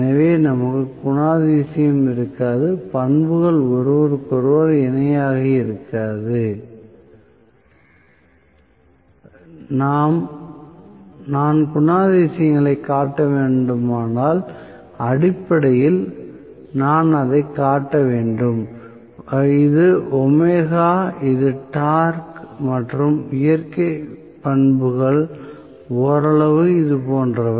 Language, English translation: Tamil, So we will not have the characteristic also, the characteristics will not be parallel to each other so, I would say if I have to show the characteristics, basically I should show it as though, this is omega this is the torque and the natural characteristics are somewhat like this